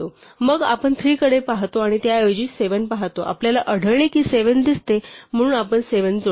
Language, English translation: Marathi, Then we look at 3 and look at 7 rather and we find that 7 does appear so we add 7